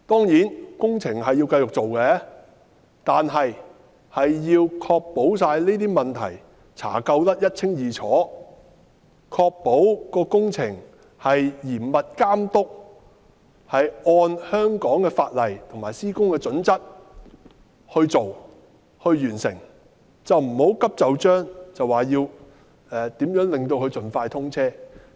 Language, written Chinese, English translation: Cantonese, 有關工程當然要繼續進行，但要確保這些問題查究得一清二楚，確保工程嚴密監督，按香港法例及施工準則進行及完成，不要急就章地令沙中線盡快通車。, While the SCL project should continue we should ensure that these problems must be looked into in every detail and the project will be carried out and completed under close supervision and in accordance with the laws of Hong Kong as well as project criteria instead of pressing for a hasty commissioning of the SCL project